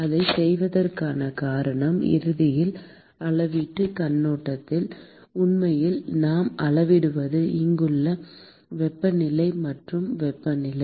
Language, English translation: Tamil, And the reason for doing that is ultimately, from measurement point of view in fact is what I would measure is the temperature here and temperature here